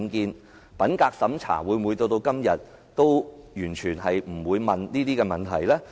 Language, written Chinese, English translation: Cantonese, 因此，品格審查到了今天，會否完全不提出這方面問題？, Hence is it possible that during the integrity checks of today no questions would be asked about UBWs?